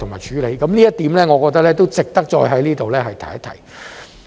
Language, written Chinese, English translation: Cantonese, 這一點我認為值得再在這裏提及。, I think this point is worth mentioning here again